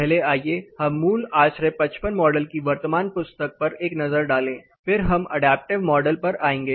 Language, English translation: Hindi, First let us take a look at the current hand book of fundamental ASHRAE 55 model then we will come to adaptive model